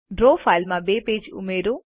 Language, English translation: Gujarati, Add two pages to your draw file